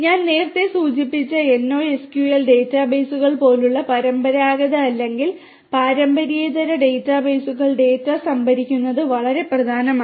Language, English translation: Malayalam, Storing the data in different databases traditional or non traditional data bases such as the NoSQL databases that I mentioned earlier is very important